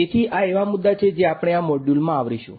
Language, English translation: Gujarati, So, these are the topics that we will cover in this module